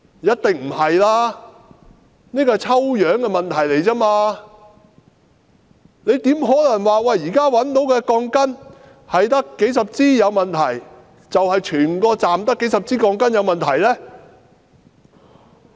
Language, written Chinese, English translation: Cantonese, 一定不是，只是抽樣得出的結果而已，怎可能說現時只找到數十支有問題的鋼筋，就說整個車站只有數十支鋼筋有問題呢？, Certainly not . That is only the findings of sampling checks . How possibly can it be concluded that since only several dozens of rebars are found to have problems it means that in the entire station there are only several dozens of problematic rebars?